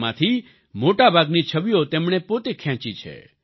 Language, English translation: Gujarati, Most of these photographs have been taken by he himself